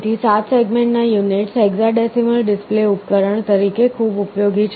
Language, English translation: Gujarati, Therefore, the 7 segment units are very useful as a hexadecimal display device